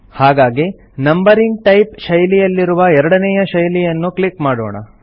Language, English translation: Kannada, So let us click on the second style under the Numbering type style